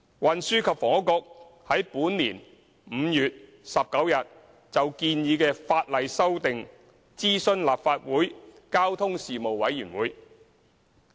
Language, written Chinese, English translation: Cantonese, 運輸及房屋局於本年5月19日就建議的法例修訂，諮詢立法會交通事務委員會。, The Transport and Housing Bureau consulted the Panel on Transport the Panel of the Legislative Council on 19 May 2017 on the proposed legislative amendments